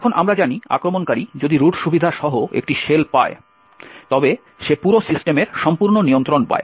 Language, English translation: Bengali, Now, as we know if the attacker obtains a shell with root privileges then he gets complete control of the entire system